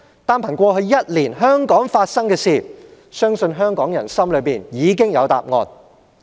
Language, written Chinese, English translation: Cantonese, 單憑過去一年香港發生的事情，相信香港人心中已有答案。, Based on what has happened in Hong Kong in the past year I believe Hong Kong people should have an answer